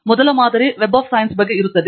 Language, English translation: Kannada, And the first module will be on Web of Science